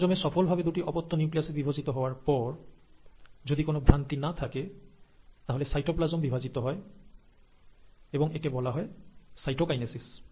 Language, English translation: Bengali, Once the chromosomes have been now successfully divided into two daughter nuclei, and there is no error happening there, then the cytoplasm actually divides, and that is called as the ‘cytokinesis’